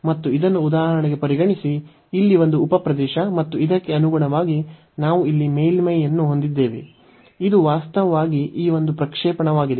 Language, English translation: Kannada, And this consider for example, one sub region here and these corresponding to this we have the surface here, which is actually the projection given by this one